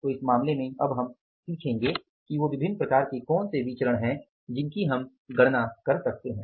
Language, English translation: Hindi, So in this case, now we will learn about what are the different variances we can calculate